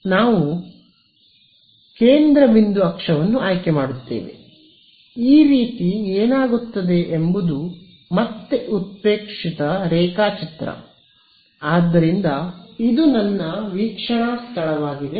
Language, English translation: Kannada, So, we will choose the centre point axis so, what becomes like this again exaggerated drawing ok, so this is my observation point ok